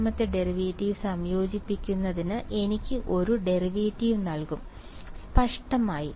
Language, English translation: Malayalam, Integrating second derivative will give me first derivative ; obviously